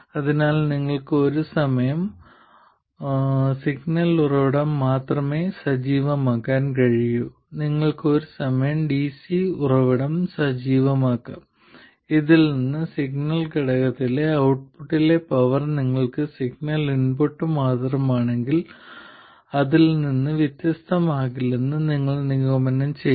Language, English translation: Malayalam, So you can activate only the signal source at a time, you can activate only the DC source at a time, and from this you will conclude that the power in the output at the signal component will be no different from if you have only the signal input